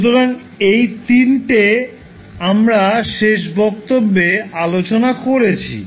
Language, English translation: Bengali, So these three we discussed in the last class